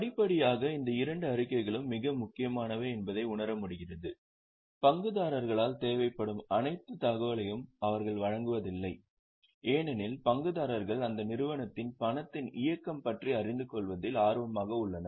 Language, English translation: Tamil, Gradually it was realized that these two statements though are very important they do not give all the information which is required by the stakeholders because stakeholders are equally interested in knowing about the movement of cash in the entity